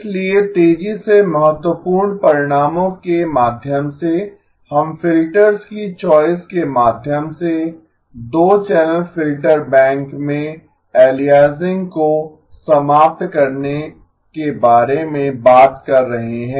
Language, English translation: Hindi, So quick run through of the key results, we are talking about the 2 channel filter bank aliasing eliminated through the choice of the filters